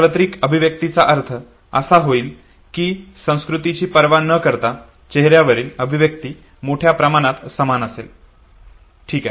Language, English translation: Marathi, Universal expressions would mean that irrespective of the culture, the facial expression would by a large remain the same okay